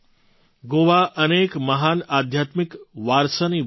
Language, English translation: Gujarati, Goa has been the land of many a great spiritual heritage